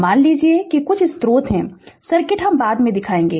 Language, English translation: Hindi, You assume that there are some sources circuit I will show you later